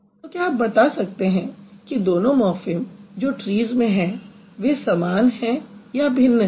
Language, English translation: Hindi, So, now you tell me do you think these two morphems that trees has, are they similar or are the different